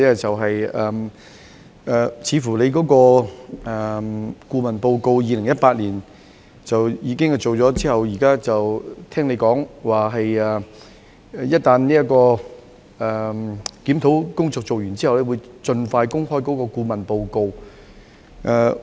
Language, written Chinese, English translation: Cantonese, 政府在2018年委聘顧問進行研究，而局長剛才提及，當檢討工作完成後，便會盡快公開顧問報告。, The Government commissioned a consultant to conduct a study in 2018 and the Secretary mentioned earlier that when the review was completed the consultancy report would be made public as soon as practicable